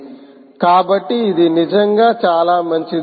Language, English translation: Telugu, so thats really very good, right